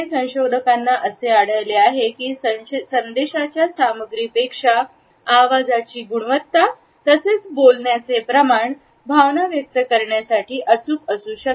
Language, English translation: Marathi, Researchers have found that the tone pitch and quality of voice as well as the rate of speech conveys emotions that can be accurately judged regardless of the content of the message